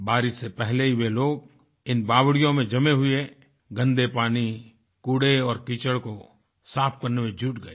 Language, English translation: Hindi, Much before the rains, people immersed themselves in the task of cleaning out the accumulated filthy water, garbage and morass